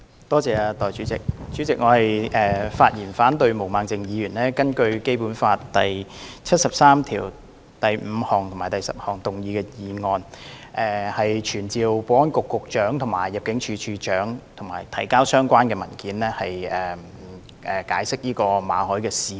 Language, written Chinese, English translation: Cantonese, 代理主席，我發言反對毛孟靜議員根據《基本法》第七十三條第五項及第十項動議的議案，傳召保安局局長及入境事務處處長到立法會提交相關文件及解釋馬凱事件。, Deputy President I speak against the motion moved by Ms Claudia MO under Article 35 and 10 of the Basic Law to summon the Secretary for Security and the Director of Immigration to attend before the Council to provide all the relevant documents and give an explanation of the Victor MALLET incident